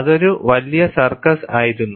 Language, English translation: Malayalam, That was a big circus